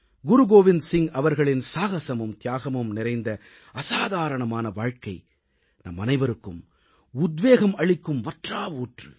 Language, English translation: Tamil, The illustrious life of Guru Gobind Singh ji, full of instances of courage & sacrifice is a source of inspiration to all of us